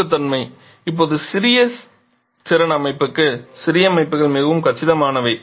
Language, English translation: Tamil, Compactness; now for small capacity system, smaller systems are more compact